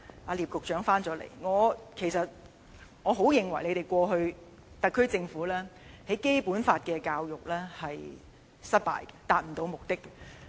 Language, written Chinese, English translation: Cantonese, 聶德權局長回來了，我認為你們過去，特區政府的《基本法》教育是失敗的，並未能達到目的。, Secretary Patrick NIP is back . Secretary I believe the SAR Governments past education campaign to promote the Basic Law was a failure as it did not fulfil the purpose